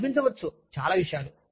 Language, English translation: Telugu, You may feel, so many things